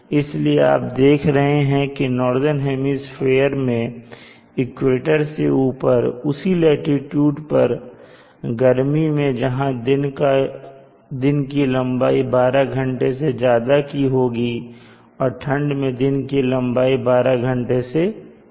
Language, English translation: Hindi, So therefore you see that for the same latitude in the northern hemisphere above the equator in summer it is greater than 12 hours in winter it is less than 12 hours and these are the important take a ways